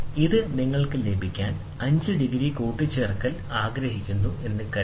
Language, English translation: Malayalam, Suppose you would like to have this is 5 degree addition you can have